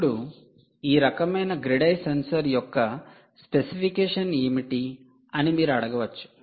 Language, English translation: Telugu, now you may ask what is the specification of this kind of grid eye sensor